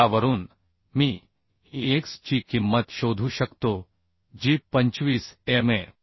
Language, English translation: Marathi, So from this I can find out the value of x that is coming 25 mm